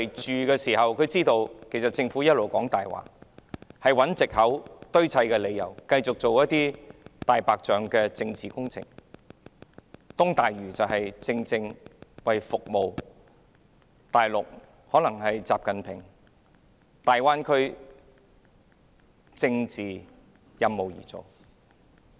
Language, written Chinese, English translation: Cantonese, 他們知道政府一直說謊，找藉口和堆砌理由，繼續進行"大白象"政治工程，例如東大嶼填海工程，正是為習近平親自規劃的大灣區這個政治任務而進行的。, They know that the Government has been lying finding excuses and making up reasons to implement white elephant political projects . For example the East Lantau reclamation project is carried out for the political task of the Greater Bay Area planned by XI Jinping personally